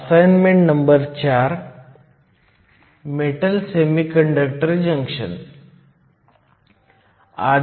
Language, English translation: Marathi, In assignment 4, we looked at metal semiconductor junctions